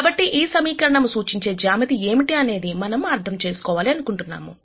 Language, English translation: Telugu, So, we want to understand what geometry this equation represents